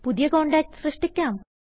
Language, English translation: Malayalam, Lets create a new contact